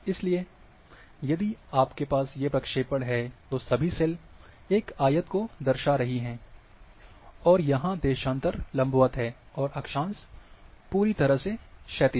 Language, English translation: Hindi, So, if you are having, all cells are representing as a rectangle, and your longitudes are vertical, your latitude are perfectly horizontal